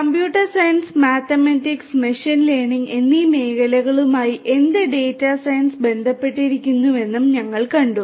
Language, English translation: Malayalam, We have also seen what data sciences and how it relates to fields of computer science mathematics and machine learning